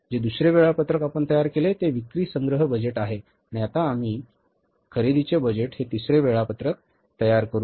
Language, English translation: Marathi, We prepare the second schedule that is the sales collection budget and now we will prepare the third schedule that is the purchase budget